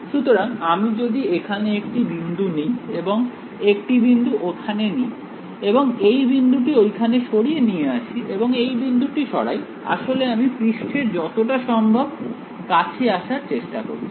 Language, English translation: Bengali, So, if I take 1 point over here and 1 point over here and I move this point over here, and I move this point I am trying to move as close as possible to the surface